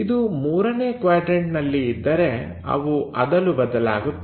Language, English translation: Kannada, If it is in third quadrant they will flip